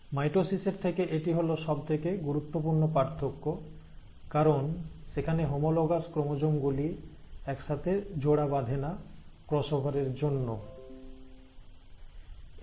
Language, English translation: Bengali, Now that is the most important difference from mitosis, because there the homologous chromosomes are not pairing together for cross over, it happens only in meiosis one